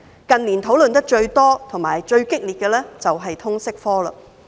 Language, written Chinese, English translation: Cantonese, 近年討論最多和最激烈的是通識科。, The most frequently and intensely discussed subject in recent years is Liberal Studies